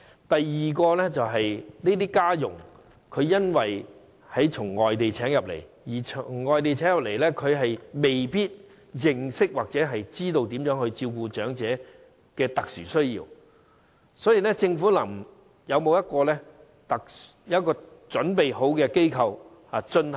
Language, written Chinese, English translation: Cantonese, 第二，由於這些家傭從外地聘請，所以他們未必認識或知道應如何照顧長者的特殊需要，政府有否準備設立考核機構呢？, Secondly since these domestic helpers come from overseas they may not necessarily know how to cater to the special needs of the elderly . Does the Government plan to set up an assessment body?